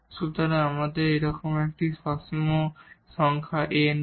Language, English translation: Bengali, So, we do not have such a A a finite number A